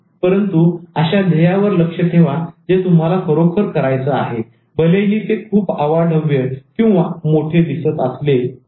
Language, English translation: Marathi, But focus on the goals that you can actually do although it is looking to be very enormous